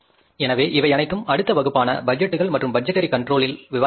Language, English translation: Tamil, So, this all will discuss in the next class in the budgets and the budgetary control